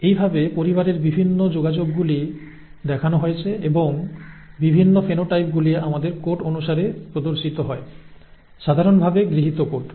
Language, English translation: Bengali, This is the way the various linkages in the family are shown and the various phenotypes are shown according to our code, the generally accepted code